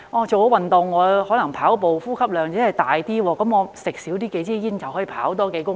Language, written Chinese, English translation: Cantonese, 做運動後，可能跑步時呼吸量增加，少吸數支煙便可以多跑數公里。, Having started exercising his or her respiratory volume may increase during running and he or she can run a few kilometres more by smoking several cigarettes fewer